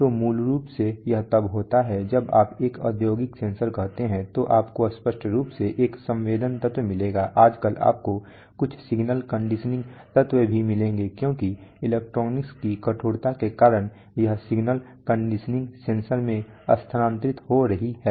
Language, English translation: Hindi, So basically this is when you say an industrial sensor you will obviously find a sensing element, you will also find some signal conditioning element nowadays because of ruggedness of electronics this signal conditioning is getting transferred into the sensor itself